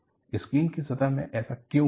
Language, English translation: Hindi, Why it has happened in the plane of the screen